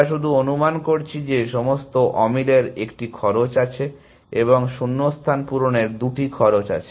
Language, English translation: Bengali, We are just assuming that all mismatches have 1 cost and gap filling has 2 costs